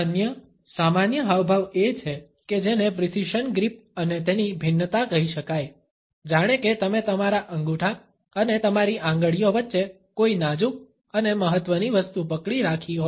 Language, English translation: Gujarati, Another common gesture is what can be termed as the precision grip and its variations, as if you are holding something delicate and important between your thumb and your fingertips